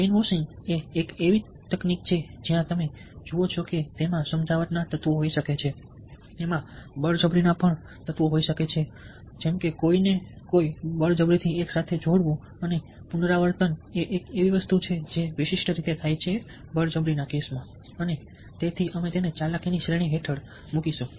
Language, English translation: Gujarati, brainwashing is a technique where you see that, ah, it can have elements of persuasion, it can also have elements of coercion, forcing somebody combine together, and a repetition is something which is distinct will be there, and hence we would put it under the category of manipulation